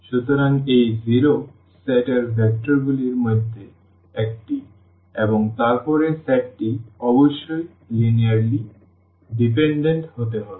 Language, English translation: Bengali, So, this 0 is one of the vectors in the set and then the set must be linearly dependent